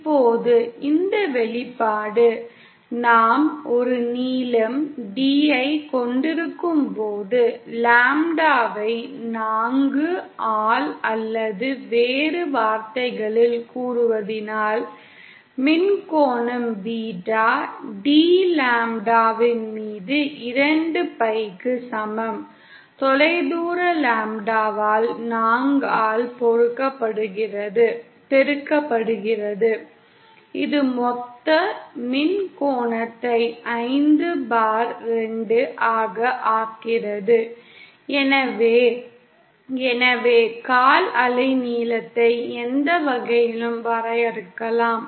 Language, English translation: Tamil, Now when this expression; when we have a length D, given by say lambda by 4 or in other words the electrical angle beta D is equal to 2 pi upon lambda multiplied by the distance lambda by 4 that makes a total electrical angle of 5/2, so either, so the quarter wave length can be defined either ways